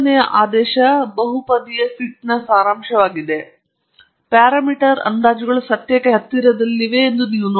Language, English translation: Kannada, So, here is a summary of the third order polynomial fit, and you can see that the parameter estimates are close to the truth